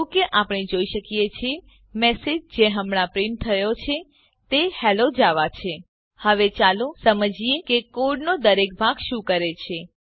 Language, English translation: Gujarati, As we can see, the message that is printed now is Hello Java Now let us understand what each part of code does